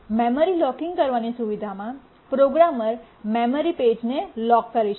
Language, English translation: Gujarati, In the memory locking feature the programmer can lock a memory page